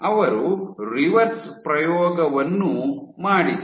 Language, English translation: Kannada, They did the reverse experiment also